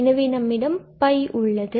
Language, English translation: Tamil, So, there are two tasks